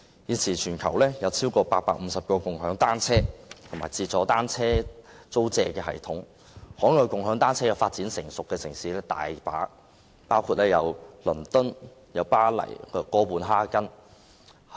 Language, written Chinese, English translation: Cantonese, 現時全球有超過850套"共享單車"及"自助單車租借"的系統，"共享單車"已發展成熟的海外城市亦有很多，包括倫敦、巴黎和哥本哈根。, At present there are more than 850 systems of bicycle - sharing and self - service bicycle hiring around the world . Many overseas cities including London Paris and Copenhagen have seen mature development of bicycle - sharing